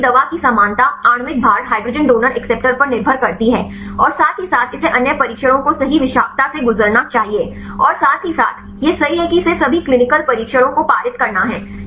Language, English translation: Hindi, Also the drug likeness depends upon the molecular weight hydrogen donor acceptor as well as it should pass other trials right toxicity as well as the side effects right it has to pass all the clinical trial